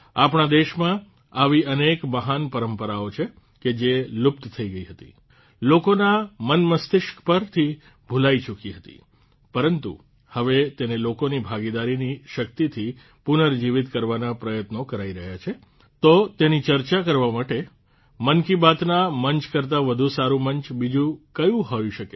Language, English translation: Gujarati, There are many such great traditions in our country which had disappeared, had been removed from the minds and hearts of the people, but now efforts are being made to revive them with the power of public participation, so for discussing that… What better platform than 'Mann Ki Baat'